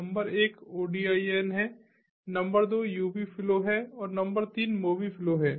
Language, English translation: Hindi, number one is odin, number two is ubi flow and number three is mobi flow